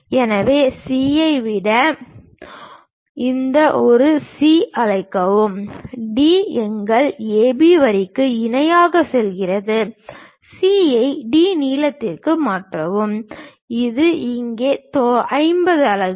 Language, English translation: Tamil, So, call this one C then from C, D goes parallel to our A B line, transfer C to D length, which is 50 units here